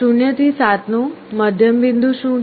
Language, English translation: Gujarati, What is the middle point of 0 to 7